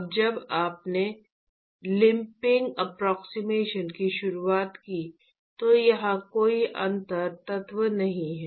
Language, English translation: Hindi, Now when we introduced the lumping approximation, there is no differential element here